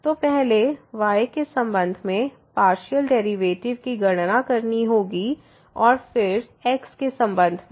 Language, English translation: Hindi, So, one has to first compute the partial derivative with respect to and then with respect to